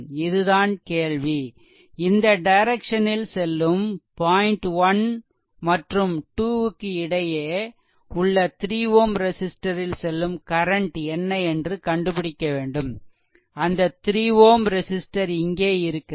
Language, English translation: Tamil, So, this is the problem that you have to find out the current flowing through this 3 ohm resistance say, in this direction 1 to 2 so, between 0